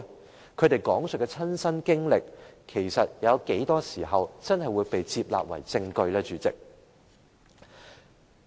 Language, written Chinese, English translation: Cantonese, 主席，他們所講述的親身經歷，又有多少時候會被接納為證據呢？, President speaking of the personal experience shared by them how often will it be admitted into evidence?